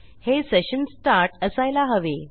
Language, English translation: Marathi, So, it must be session start